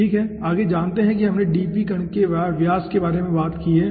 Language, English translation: Hindi, next let us see, as we have talked about dp particle diameter